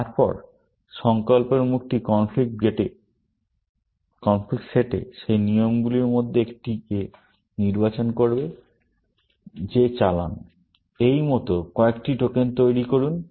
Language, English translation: Bengali, Then, the resolve face will select one of those rules in the conflict set; execute that; generate a few tokens like this